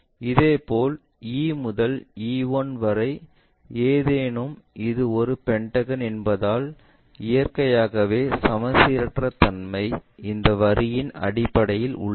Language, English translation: Tamil, Similarly, E to E 1, E to E 1, because it is a pentagon naturally asymmetry is there in terms of this line